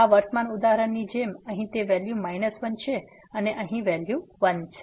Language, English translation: Gujarati, Like in this present example here it is value minus 1 and here the value is 1